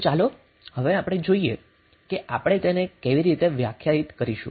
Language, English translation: Gujarati, So now let us see how we will define it